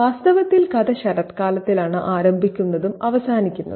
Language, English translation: Malayalam, In fact, the story begins in autumn and ends in autumn as well